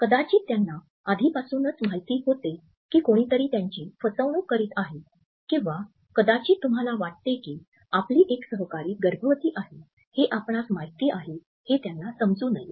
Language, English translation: Marathi, Maybe they already knew that someone was cheating on them or maybe you do not want them to know you already knew a co worker was pregnant